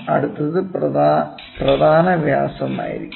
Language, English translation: Malayalam, Next one is going to be major diameter